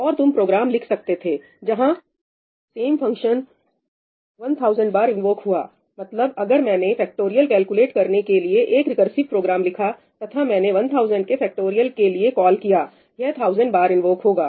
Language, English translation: Hindi, And you could write programs where the same function gets invoked 1000 times if I have written a recursive program to calculate factorial and I have called the factorial of 1000, It will get invoked 1000 times